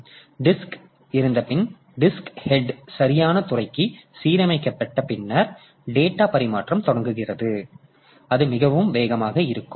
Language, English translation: Tamil, So, after the disk has been aligned, the disk head has been aligned to the proper sector, the data transfer starts and that is pretty fast